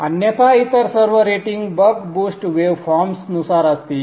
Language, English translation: Marathi, Otherwise all other ratings will be according to the bug boost waveforms